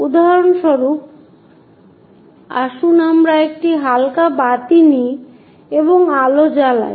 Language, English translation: Bengali, For example, let us takes a light lamp which is shining light